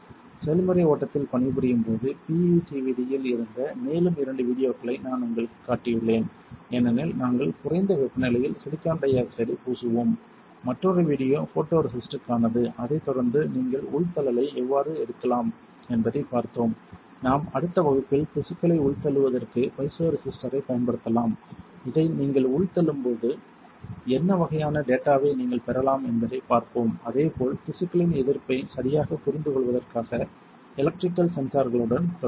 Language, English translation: Tamil, While working on the process flow I have just shown you two more videos, which were on the PECVD because we will be coating silicon dioxide at lower temperature and another video was for the photoresist, followed by we have seen how can you take the indentation, I can use piezo resistor for indenting the tissues in the next class we will see how can you what kind of data you get when you indent this, as well as we will continue with the electrical sensors for understanding the resistance of the tissue alright